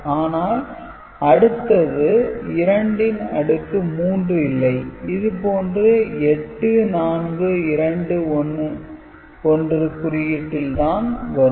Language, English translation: Tamil, It is not 2 to the power 3 8 that we see for 8421 code, ok